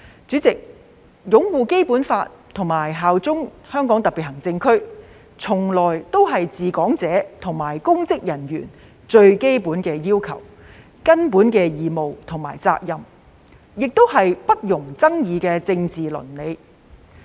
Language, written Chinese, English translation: Cantonese, 主席，擁護《基本法》及效忠香港特別行政區，從來都是治港者及公職人員的最基本要求、根本義務和責任，也是不容爭議的政治倫理。, President upholding the Basic Law and bearing allegiance to HKSAR have always been the most basic requirements fundamental obligation and duty for those who administrate Hong Kong and public officers and they are indisputable political ethics